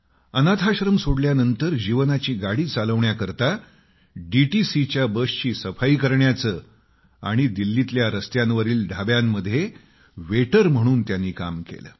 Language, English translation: Marathi, After leaving the orphanage, he eked out a living cleaning DTC buses and working as waiter at roadside eateries